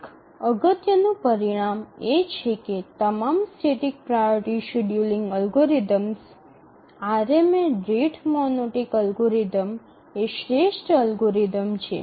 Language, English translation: Gujarati, One important result is that among all static priority scheduling algorithms, RMA, the rate monotonic algorithm is the optimal algorithm